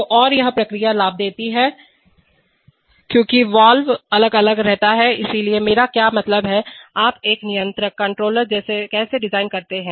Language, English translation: Hindi, So, and this process gain keeps varying because the valve gain keeps varying, so what do, I mean, how do you design a controller